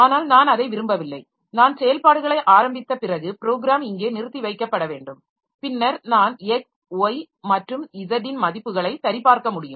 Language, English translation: Tamil, I want that the after I have initiated the operation so the program should should get suspended here and then I will be able to check the values of x, y and z